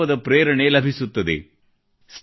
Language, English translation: Kannada, There is inspiration for resolve